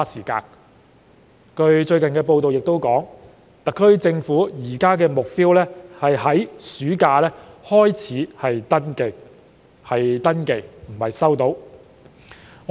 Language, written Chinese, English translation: Cantonese, 據最近報道所述，特區政府現時的目標是在暑假才開始登記；市民只是登記，而不是收到消費券。, According to recent reports the SAR Government aims at starting registration during the summer vacation and members of the public will only register for the scheme but not receive the consumption vouchers then